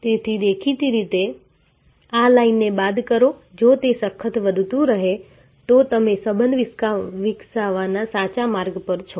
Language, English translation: Gujarati, So; obviously, this line minus this line if that keeps growing, then you are on the right track of developing relationship